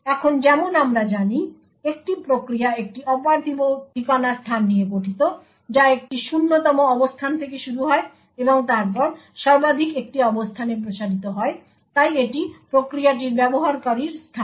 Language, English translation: Bengali, Now as we know a process comprises of a virtual address space which starts at a 0th location and then extends to a maximum location, so this is the user space of the process